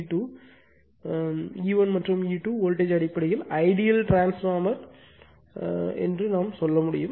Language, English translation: Tamil, What you call E 1 and E 2 voltage basically you can say this is the ideal transformer in this voltage